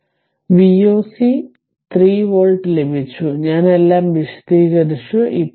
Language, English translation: Malayalam, So, V o c we got 3 volt; I explained everything